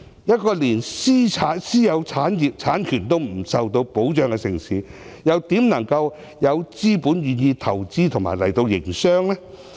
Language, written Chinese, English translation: Cantonese, 一個連私有產業和產權也未能受到保障的城市，又怎可能有資本願意到來投資和營商？, How can a city which cannot protect private property and property rights attract investment and business?